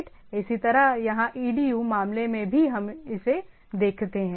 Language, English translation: Hindi, Similarly, here also in the edu case we see this one